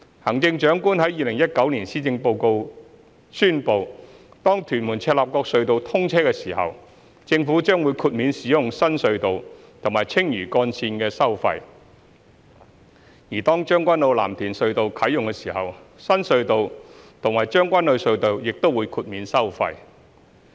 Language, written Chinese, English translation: Cantonese, 行政長官在2019年施政報告中宣布，當屯門―赤鱲角隧道通車時，政府將會豁免使用新隧道和青嶼幹線的收費；而當將軍澳―藍田隧道啟用時，新隧道和將軍澳隧道亦會豁免收費。, In the Policy Address 2019 the Chief Executive announced that the Government would waive the tolls of the new TM - CLKT and the Lantau Link upon the commissioning of TM - CLKT and the tolls of the new TKO - LTT and the Tseung Kwan O Tunnel upon commissioning of TKO - LTT